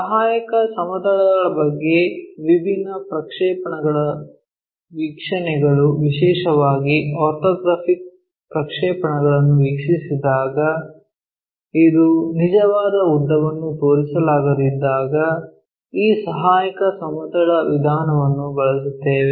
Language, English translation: Kannada, So, about a auxiliary planes, when different projectional views especially orthographic projections this could not show true lengths then we employ this auxiliary plane method